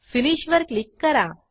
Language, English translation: Marathi, And Click on Finish